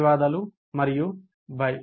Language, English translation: Telugu, Thank you and bye